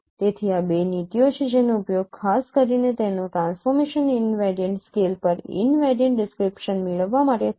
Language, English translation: Gujarati, So these are the two no policies which are used in particular to get a transformation invariant scale invariant description